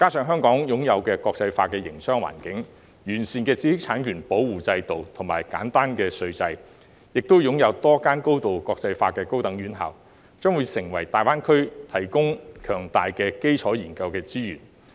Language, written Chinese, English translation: Cantonese, 香港擁有國際化的營商環境、完善的知識產權保護制度和簡單稅制，亦擁有多間高度國際化的高等院校，將會為大灣區提供強大的基礎研究資源。, With an internationalized business environment a robust intellectual property protection regime a simple tax regime and a number of highly internationalized higher education institutions Hong Kong will provide strong basic research resources for GBA